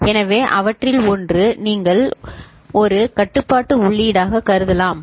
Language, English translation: Tamil, So, one of them you can consider as a control input say B